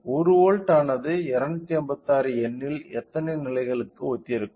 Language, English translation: Tamil, So, 1 volt will be correspond to how many number of levels out of 256 number